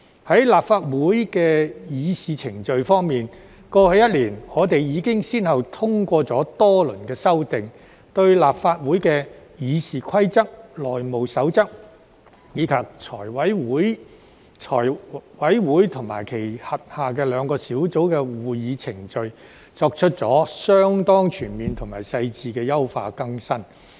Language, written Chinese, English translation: Cantonese, 在立法會的議事程序方面，過去一年，我們已經先後通過多輪修訂，對立法會的《議事規則》、《內務守則》，以及財務委員會及其轄下兩個小組委員會的會議程序作出了相當全面及細緻的優化更新。, In respect of the proceedings of the Legislative Council over the past year we have already passed several rounds of amendments to enhance and update the Rules of Procedures RoP of the Legislative Council the House Rules as well as the procedures of the Finance Committee FC and its two subcommittees in a rather comprehensive and thorough manner